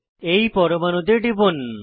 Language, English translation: Bengali, Click on the atom